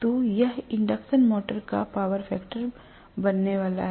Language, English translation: Hindi, So, this is going to be the power factor of the induction motor